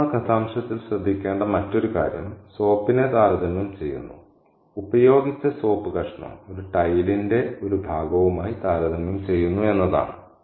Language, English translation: Malayalam, Now the other thing to notice about that extract is that the soap is compared, the used piece of soap is compared to a fragment of a tile